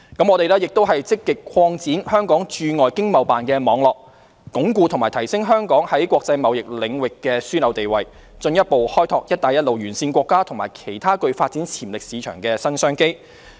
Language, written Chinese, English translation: Cantonese, 我們亦積極擴展香港駐海外經貿辦事處的網絡，鞏固及提升香港在國際貿易領域的樞紐地位，進一步開拓"一帶一路"沿線國家和其他具發展潛力市場的新商機。, Furthermore we are actively expanding the network of the Hong Kong Economic and Trade Offices ETOs overseas to consolidate and enhance Hong Kongs position as a hub in international trade and further explore new business opportunities along the Belt and Road countries and other markets with development potential